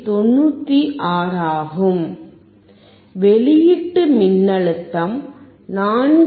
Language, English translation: Tamil, 96; the output voltage is 4